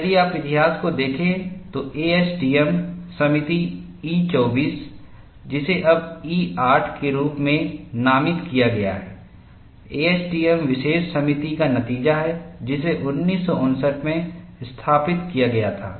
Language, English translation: Hindi, And if you look at the history, ASTM committee E 24, which is now designated as E 08, is an outgrowth of ASTM special committee, which was instituted in 1959 and in any development, knowing the history is very important